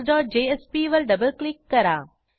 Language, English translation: Marathi, Double click on index.jsp